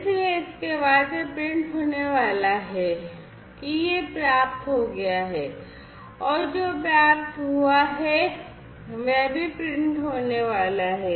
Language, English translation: Hindi, So, thereafter it is going to print that it has been received and what has been received is also going to be printed